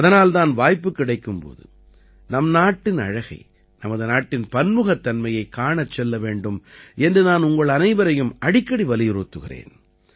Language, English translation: Tamil, That's why I often urge all of you that whenever we get a chance, we must go to see the beauty and diversity of our country